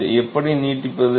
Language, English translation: Tamil, How do we extend this